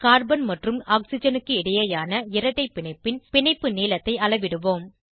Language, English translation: Tamil, Lets measure the bond length between carbon and oxygen double bond